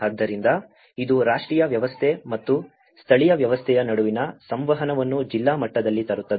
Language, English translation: Kannada, So, it is, it brings the communication between the national system and the local system at a district level